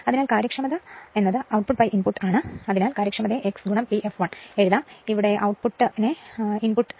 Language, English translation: Malayalam, So, efficiency is output by input so, efficiency can be written as x into P f l this is the output divided by the whole term the input right